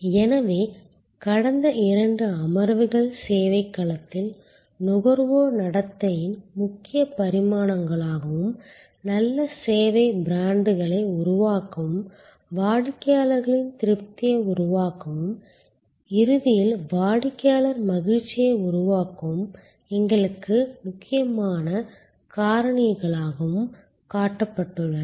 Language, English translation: Tamil, So, the last two sessions have shown as key dimensions of consumer behavior in the service domain and key factors that are important for us to build good service brands, create customers satisfaction and ultimately customer delight